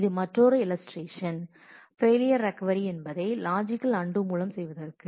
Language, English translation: Tamil, This is similarly another illustration for doing the failure recovery for with logical undo